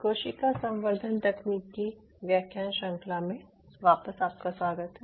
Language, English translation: Hindi, welcome back to the lecture series in cell culture technology